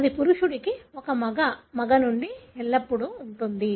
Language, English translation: Telugu, So, it would be always from a male to male to male